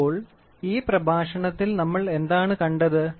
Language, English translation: Malayalam, So, in this lecture so, what all did we see